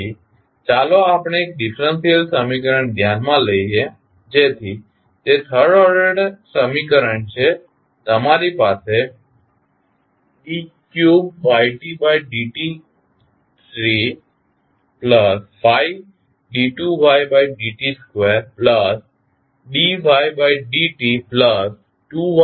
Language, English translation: Gujarati, So, let us consider one differential equation, so that is the third order equation you have d3 by dt3 plus 5 d2y by dt2 plus dy by dt plus 2yt is equal to ut